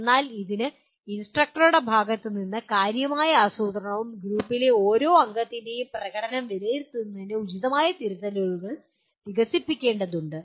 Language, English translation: Malayalam, But this requires considerable planning on behalf of the instructor and developing appropriate rubrics for evaluation of the performance of each member of the group